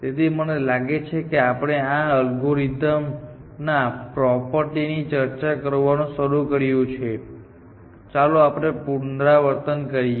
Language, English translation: Gujarati, So, I think we are started discussing the properties of this algorithm, but let us recap